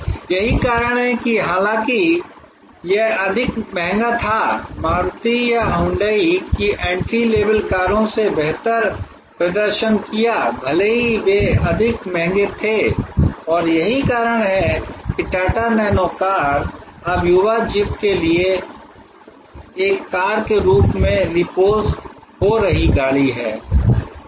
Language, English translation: Hindi, Though it was more expensive, the entry level cars of Maruti or Hyundai did much better, even though they were more expensive and that is why the Tata Nano car is now getting reposition as a car for the young zippy car